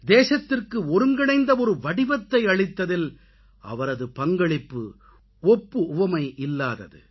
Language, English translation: Tamil, His contribution in giving a unified texture to the nation is without parallel